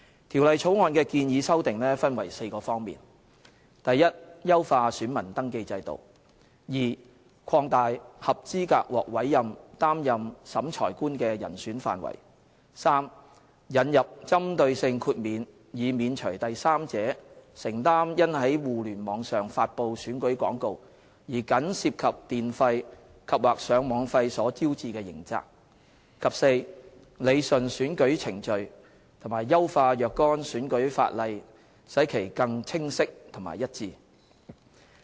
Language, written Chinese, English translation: Cantonese, 《條例草案》的建議修訂分為4方面： a 優化選民登記制度； b 擴大合資格獲委任擔任審裁官的人選範圍； c 引入針對性豁免，免除第三者承擔因在互聯網上發布僅涉及電費及/或上網費的選舉廣告而招致的刑責；及 d 理順選舉程序，並優化若干選舉法例，使其更清晰和一致。, The proposed amendments of the Bill fall into four categories a enhancing the VR system; b broadening the pool of eligible candidates for appointment as Revising Officers; c introducing a targeted exemption from criminal liability in respect of a third party publishing on the Internet election advertisements which incur merely electricity and or Internet access charges; and d rationalizing electoral procedures and improving the clarity and consistency of certain electoral legislation